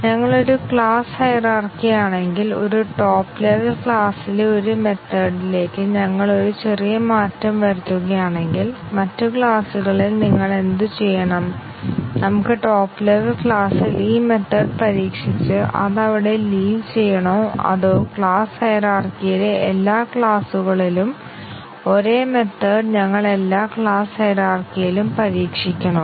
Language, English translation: Malayalam, If we in a class hierarchy, if we make a small change to a method in a top level class, what do you have to do in the other classes, can we just test the method in the top level class and just leave it there or do we have to test it in all the class hierarchy the same method in every class in the class hierarchy